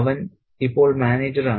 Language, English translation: Malayalam, He is now the manager